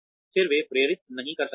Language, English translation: Hindi, Then, they may not motivate